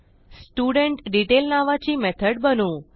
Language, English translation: Marathi, So let me create a method named StudentDetail